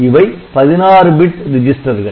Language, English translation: Tamil, So, they are 16 bit registers ok